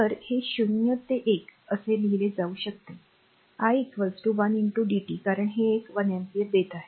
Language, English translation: Marathi, So, this can be written as 0 to 1, i is equal to your 1 into dt because this is giving one ampere